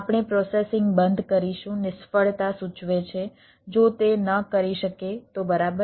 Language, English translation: Gujarati, all right, we will stop processing, indicate a failure if it is cannot right